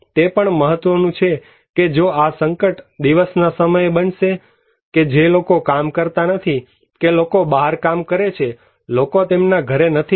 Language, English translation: Gujarati, It also matter that if this hazard would take place at day time, when people are not working, people are working outside, people are not at their home